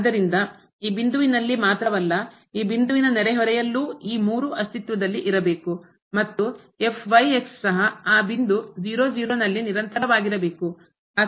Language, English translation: Kannada, So, not only at this point, but also in the neighborhood of this point all these 3 exist and this on the top here is also continuous at that point 0 0